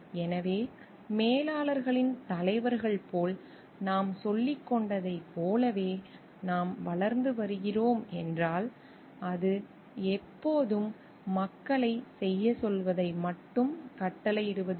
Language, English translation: Tamil, So, if we are growing to as we were telling like it is as manager s leaders, it is not always just dictating people telling them to do things